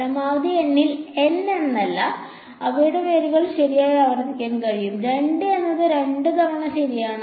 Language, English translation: Malayalam, At max N no say N they can repeated roots also right x minus 2 whole square 2 is repeated twice right